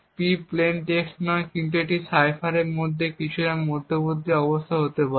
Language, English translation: Bengali, P is not necessarily the plain text but it could be some intermediate state of the cipher